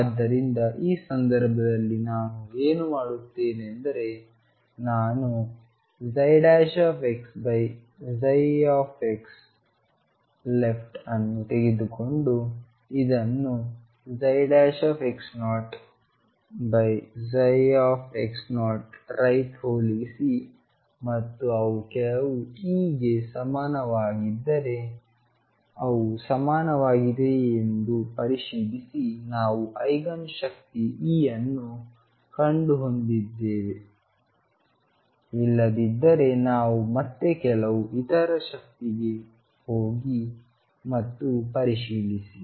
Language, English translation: Kannada, So, in this case what I do is I take psi prime x 0 over psi x 0 left and compare this with psi prime x 0 over psi x 0 coming from right and check if they are equal if they are equal for some e we have found the Eigen energy E, if not we again go to some other energy and check